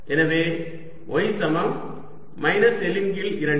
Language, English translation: Tamil, so y equals minus l by two